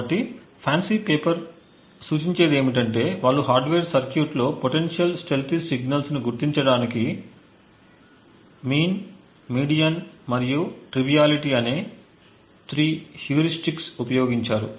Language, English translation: Telugu, a set of 3 heuristics a mean, median and something known as Triviality to identify potential stealthy signals in a hardware circuit